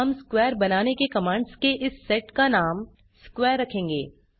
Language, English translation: Hindi, We will name of this set of commands to draw a square as square